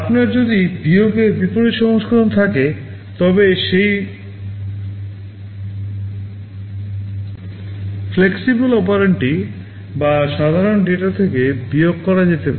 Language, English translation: Bengali, If you have a reverse version of subtract then that flexible operand can be subtracted from or the normal data